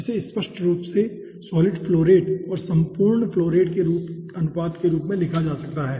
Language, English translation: Hindi, that can be written as, obviously, the ratio between the solid flow rate divided by the overall flow rate